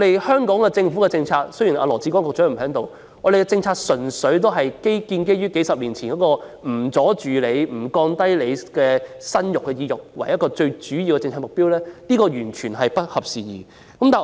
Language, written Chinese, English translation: Cantonese, 香港政府的政策——雖然羅致光局長不在席——純粹建基於數十年前的政策目標，不阻礙市民生育，也不降低市民的生育意欲，但已完全不合時宜。, Secretary LAW Chi - kwong is now absent―the policy of the Hong Kong Government is simply based on the policy objectives of the past decades which did not hinder childbirth or weaken peoples desire for childbearing . But this policy is outdated